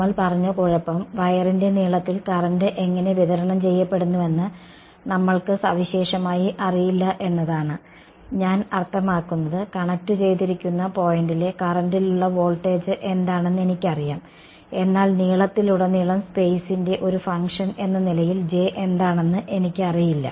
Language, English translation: Malayalam, The trouble we said is that we do not typically know how is the current distributed along the length of the wire; I mean, I know what is the voltage at the current at the point of connected, but across the length I do not know what is J as a function of space